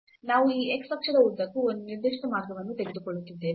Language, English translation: Kannada, So, we are taking a particular path along this x axis